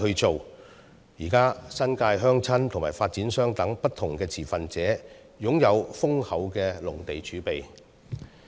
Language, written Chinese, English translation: Cantonese, 現時，新界鄉紳和發展商等不同持份者皆擁有豐厚的農地儲備。, At present different stakeholders in the New Territories such as the rural gentry and developers hold an ample amount of agricultural land reserves